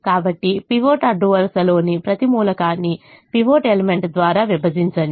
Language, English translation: Telugu, so divide every element of the pivot row by the pivot element